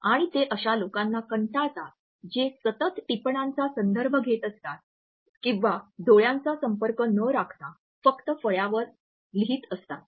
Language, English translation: Marathi, And they automatically are rather bored with those people who are referring to their notes continuously or simply writing on the blackboard without maintaining an eye contact